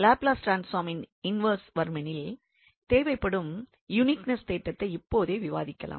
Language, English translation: Tamil, And just to conclude we have discussed the uniqueness theorem for inverse Laplace transform